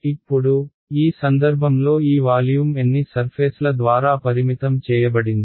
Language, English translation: Telugu, Now, in this case this volume one is bounded by how many surfaces